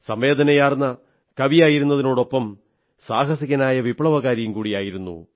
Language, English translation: Malayalam, Besides being a sensitive poet, he was also a courageous revolutionary